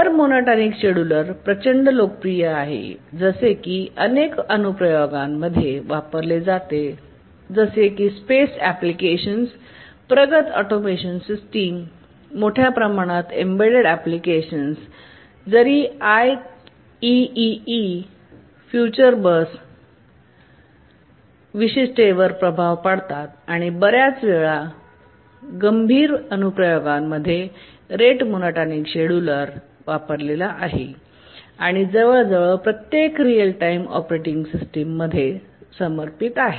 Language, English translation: Marathi, The rate monotermed scheduler is overwhelmingly popular, used in many, many applications, space applications, advanced automation systems, large number of embedded applications, even has influenced the specification of the ICC3PII future bus and in many time critical applications the rate monotonic scheduler is used and is supported in almost every operating, real time operating system